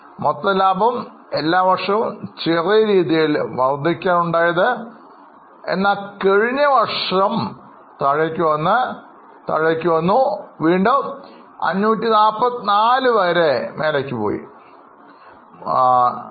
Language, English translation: Malayalam, The gross profits are more or less increased in all the years except in last year they decreased a bit and again they have jumped up to 544